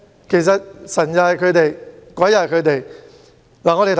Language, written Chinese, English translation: Cantonese, 其實，神是他們，鬼又是他們。, These people are in fact Jekyll and Hydes